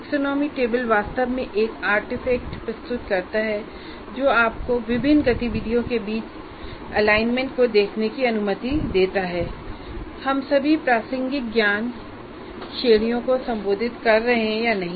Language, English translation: Hindi, So the taxonomy table really presents you as a kind of a, it's an artifact that allows you to look at the alignment between various activities or whether we are addressing all the relevant knowledge categories or not